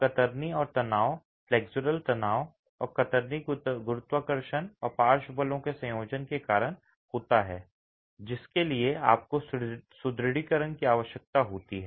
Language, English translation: Hindi, So, shear and tension, flexual tension and shear caused you to a combination of gravity and lateral forces is what you would need the reinforcement for